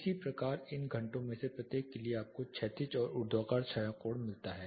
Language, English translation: Hindi, Similarly for each of these hours you get the horizontal and vertical shadow angle